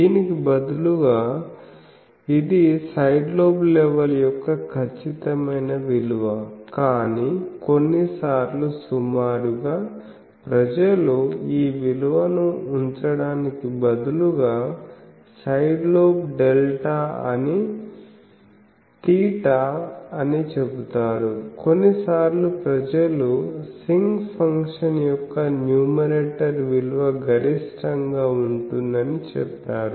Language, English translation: Telugu, Instead of this, this is an exact value of side lobe level, but sometimes approximately people say that side lobe delta theta is instead of putting this value, sometimes people say that numerator of sinc function is maximum